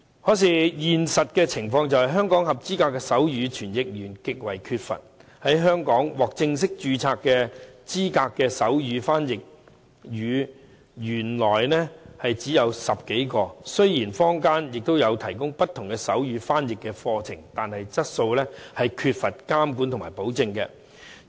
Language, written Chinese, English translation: Cantonese, 可是，現實情況是，香港合資格的手語傳譯員極為缺乏。香港獲正式註冊資格的手語翻譯員原來只有10多位，雖然坊間也有提供不同的手語翻譯課程，但質素缺乏監管和保證。, But the reality is that there is a severe shortage of qualified sign language interpreters in Hong Kong as there are just about a dozen sign language interpreters who are formally registered . There is a variety of sign language interpretation courses on offer in the market but there is no regulation and quality assurance